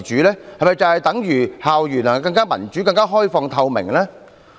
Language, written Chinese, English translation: Cantonese, 這是否等於校園能更民主、更開放透明？, Does this mean that school campuses have been more democratic open and transparent?